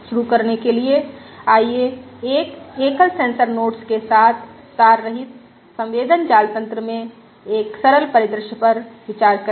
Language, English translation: Hindi, To start with, let us consider a simple scenario in a wireless sensor network with a single sensor node